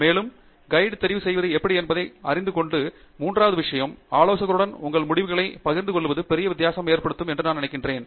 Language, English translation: Tamil, And, I think the third thing is sharing your results with the advisor makes a big difference